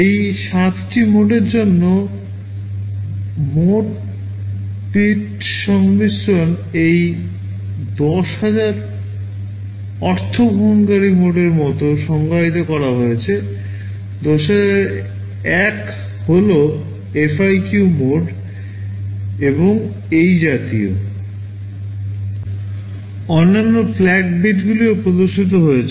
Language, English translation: Bengali, For these 7 modes, the mode bit combinations are defined like this 10000 the means user mode, 10001 is FIQ mode, and so on